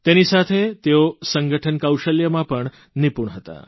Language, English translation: Gujarati, Along with that, he was also adept at organising skills